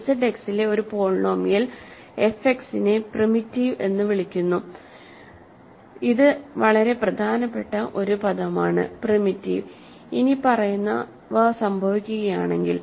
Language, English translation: Malayalam, A polynomial f X in Z X is called primitive, this is a very important word for us; primitive, if the following happens